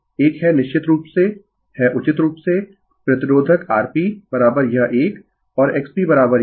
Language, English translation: Hindi, One is of course, is fairly resistive R P is equal to this one and X P is equal to this one